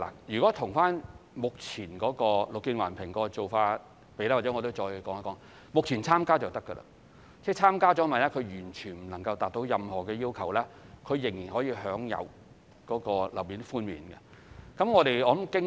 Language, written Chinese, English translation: Cantonese, 以目前綠建環評的做法而言，讓我再說一說，目前只要發展商參加，日後萬一項目完全無法達到任何級別，仍然可以享有總樓面面積寬免。, Let me add a few words about the current practice under BEAM Plus . At present the developers just need to participate in BEAM Plus . Even on the off chance that the project completely fails to achieve any rating they can still enjoy the GFA concessions